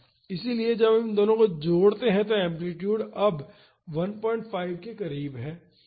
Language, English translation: Hindi, So, when we add these two the amplitude is now close to 1